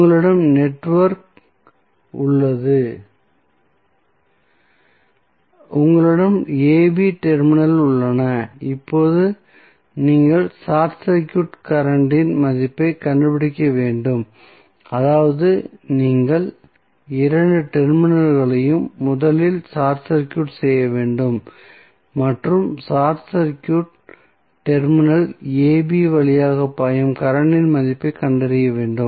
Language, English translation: Tamil, So, you have the network, you have the terminals AB now you need to find out the value of short circuit current that means you have to first short circuit both of the terminals and find out the value of current flowing through short circuited terminal AB